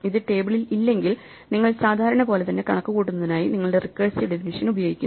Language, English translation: Malayalam, If it is not in the table, you apply your recursive definition to compute it, just like you would normally